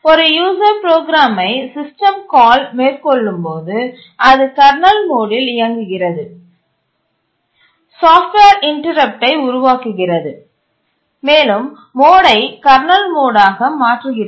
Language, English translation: Tamil, When a user program makes a system call, it runs in kernel mode, generates a software interrupt, changes the mode to kernel mode